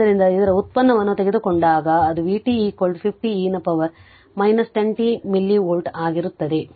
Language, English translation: Kannada, So, if you just take the derivative it will become v t is equal to 50 e to the power minus 10 t milli volt right